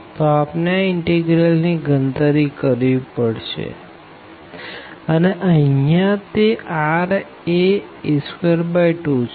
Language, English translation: Gujarati, So, we need to just evaluate this integral, which will be here r is square by 2